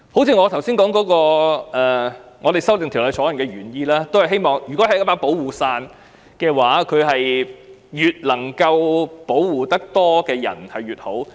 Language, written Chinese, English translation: Cantonese, 一如我們修正《條例草案》的原意，如果這是一把保護傘，能保護越多人越好。, Just like our original intent of amending the Bill if this is a protective umbrella it would be best to protect as many people as possible